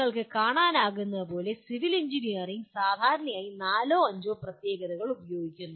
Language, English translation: Malayalam, So as you can see civil engineering generally uses something like four to five specialties